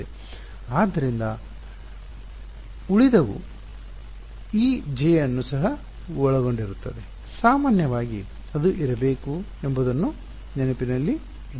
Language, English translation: Kannada, So, right so the residual will also include this J term just to keep in mind that in general it should be there